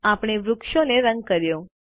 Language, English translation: Gujarati, We have colored the tree